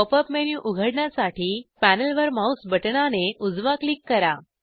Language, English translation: Marathi, To open the Pop up menu, right click the mouse button on the panel